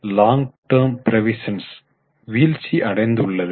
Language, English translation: Tamil, Long term provisions have gone down